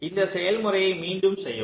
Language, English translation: Tamil, repeat this process